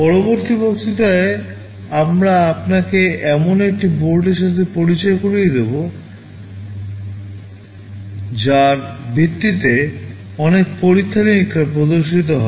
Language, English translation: Bengali, In the next lecture we shall be introducing you to one of the boards based on which many of the experiments shall be demonstrated